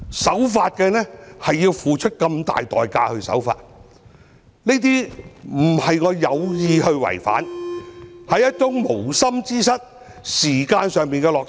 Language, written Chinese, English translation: Cantonese, 守法竟然要付出這麼大的代價，又不是我有意違規，而是無心之失，是時間上的落差。, Is this a situation of the tail wagging the dog? . I have to pay such a high price for obeying the law . I did not breach the regulation intentionally; it was only an inadvertent mistake owing to the time gap